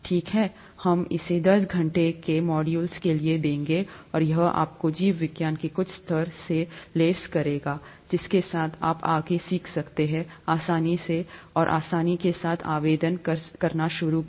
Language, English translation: Hindi, Okay, we’ll give this to you as a ten hour module, and that would equip you with some level of biology with which you can learn further with ease and also start applying with ease